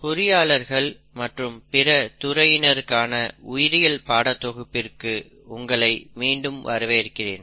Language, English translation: Tamil, Hello and welcome back to these series of videos on biology for engineers and other non biologists